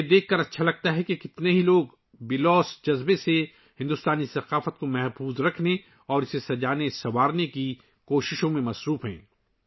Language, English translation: Urdu, I feel good to see how many people are selflessly making efforts to preserve and beautify Indian culture